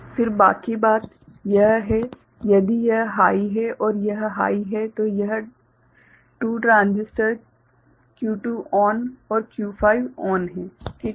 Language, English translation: Hindi, Then rest of the thing is if this is high and this is high so, thes3 2 transistors Q4 ON and Q5 ON ok